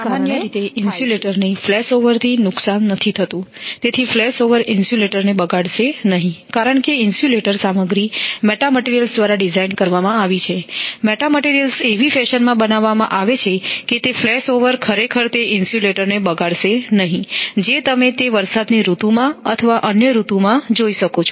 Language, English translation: Gujarati, Normally the insulator is not damaged by flash over, so in the flash over insulator we will not be damaged, because materials are designed meta materials are your made in such a fashion that flashover actually it does not spoil the insulator you might have you can see that it is in rainy season or other thing